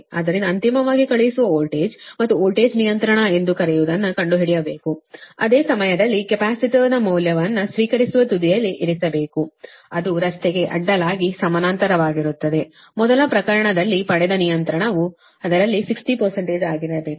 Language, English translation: Kannada, so you have to find out that your, what you call that your sending end voltage and voltage regulation, at the same time that the value of the capacitor placed your in that receiving end, that is, across the road, in parallel, right, such that whatever regulation you got in the first case it should be sixty percent of that